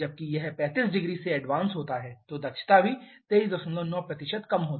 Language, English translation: Hindi, Whereas when it is advanced by 35 degree efficiency is even lower 23